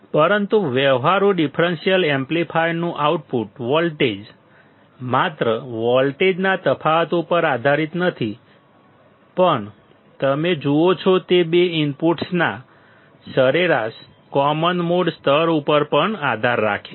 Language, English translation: Gujarati, But the output voltage of the practical differential amplifier not only depends on a difference voltage, but also depends on the average common mode level of two inputs you see